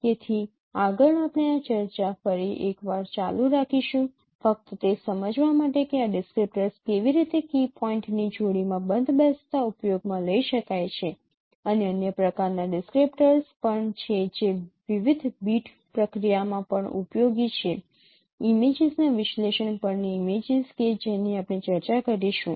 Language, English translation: Gujarati, So next we will continue this discussion once again just to understand that how these descriptors could be used in matching pairs of key points and also there are other kinds of descriptors which are also useful in the in in in in various other big processing of images on analysis of images that we will also discuss so let us stop at this point for this particular lecture thank you very much